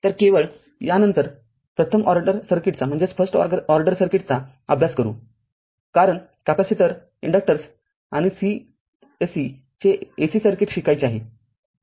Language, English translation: Marathi, So, just because after this we will study that your first order circuit, because capacitor inductors, we have to learn and AC circuit of course